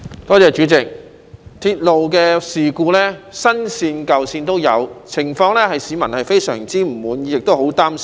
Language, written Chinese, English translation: Cantonese, 代理主席，鐵路事故在新線或舊線都有發生，情況令市民相當不滿，亦非常擔心。, Deputy President railway incidents occurred on both the new and existing railway lines and this has caused much dissatisfaction and concern among the public